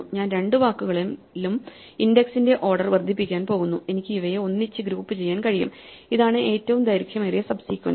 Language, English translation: Malayalam, So, I am going increasing the order of index in both words and I can group together these things and this is what the longest kind of subsequences